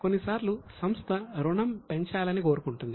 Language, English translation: Telugu, Sometimes what happens is company wants to raise loan